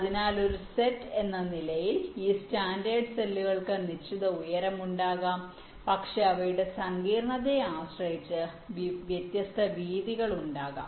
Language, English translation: Malayalam, standard cells as a set can be of fixed height but, depending on their complexity, can be a varying width